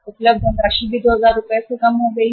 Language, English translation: Hindi, The funds available have also gone down by 2000 Rs